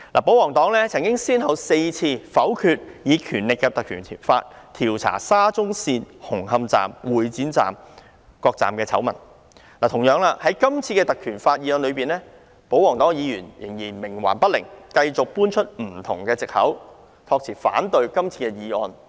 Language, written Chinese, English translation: Cantonese, 保皇黨曾先後4次否決引用《條例》調查有關沙中線紅磡站和會展站等各車站的醜聞，同樣地，就今次根據《條例》提出的議案，保皇黨議員仍然冥頑不靈，繼續搬出各種藉口，託辭反對今天的議案。, On four occasions the pro - government camp has voted against invoking PP Ordinance to investigate the scandals involving such stations as the Hung Hom Station and the Exhibition Centre Station . Similarly on this motion proposed according to PP Ordinance the pro - government camp has remained obdurate and cited various excuses for opposing todays motion